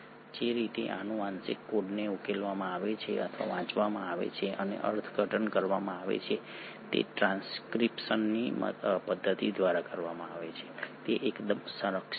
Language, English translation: Gujarati, The way in which this genetic code is deciphered or read and interpreted is done through the mechanism of transcription is fairly conserved